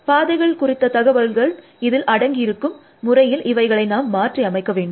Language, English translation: Tamil, And we have to modify it in such a way, that it contains the paths information essentially